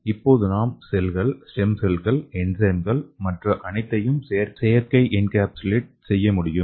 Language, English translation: Tamil, So here you can see here we can encapsulate cells, stem cells, enzymes and everything inside the membrane, artificial membrane